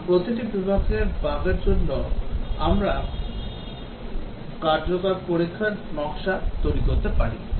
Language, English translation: Bengali, And for each category of bug we can design effective testing